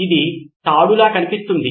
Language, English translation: Telugu, This looks like a rope